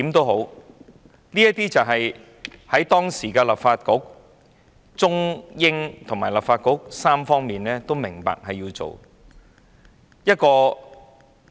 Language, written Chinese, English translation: Cantonese, 無論如何，這是當時中方、英方及立法局三方均明白需要做的事情。, In any case the Chinese side the British side and the Legislative Council knew that this was something necessary to be done at that time